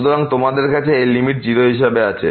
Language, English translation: Bengali, So, you have this limit as 0